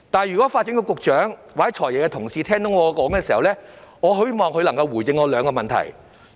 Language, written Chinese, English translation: Cantonese, 如果發展局局長或"財爺"的同事聽到我的發言，我希望他們可以回應以下兩點。, If the Secretary for Development or FSs colleagues have heard my speech I hope they will respond to the following two points